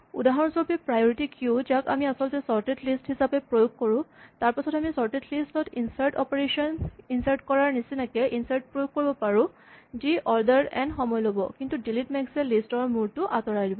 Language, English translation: Assamese, For instance we saw that for a priority queue we could actually implement it as a sorted list and then we could implement insert as an insert operation in a sorted list which you take order n time, but delete max would just remove the head of the list